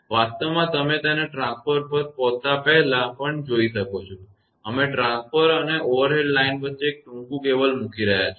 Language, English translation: Gujarati, In reality you can see it also before it arrives at the transformer; we are putting a short cable between the transformer and the overhead line